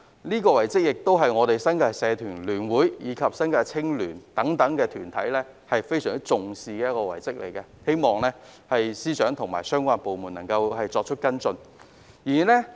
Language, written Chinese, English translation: Cantonese, 此外，新界社團聯會及新界青年聯會等團體非常重視這項遺蹟，希望司長和相關部門能夠跟進。, Moreover organizations such as the New Territories Association of Societies and the Federation of New Territories Youth attach great importance to this relic and hope that FS and the relevant departments may take follow - up actions